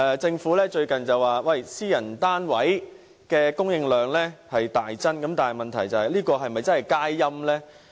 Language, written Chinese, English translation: Cantonese, 政府近日指私人單位的供應量已大增，但這是否真正佳音？, The Government has recently said that the supply of private flats has increased substantially but is it really good news?